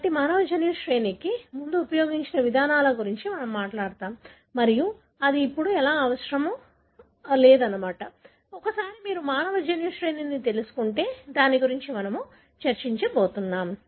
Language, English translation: Telugu, So, we will talk about, the approaches that were used before the human genome sequence was understood and then how that is really not necessary now, once you know the human genome sequence, so that is what we are going to discuss